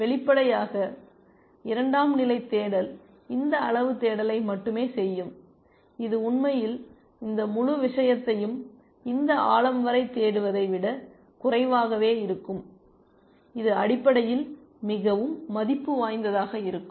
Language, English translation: Tamil, Obviously, the secondary search will only do this much amount of search, which is at last less than actually searching this whole thing up to this depth, that would have been meant much more worth essentially